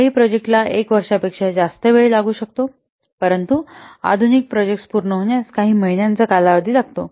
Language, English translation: Marathi, Some projects may take more than one year, but modern projects they typically take a few months to complete